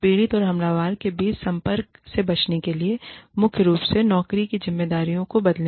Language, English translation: Hindi, Change the job responsibilities, primarily to avoid contact, between the victim, and the aggressor